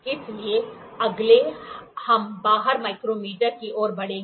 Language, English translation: Hindi, So, next we will move to outside micrometer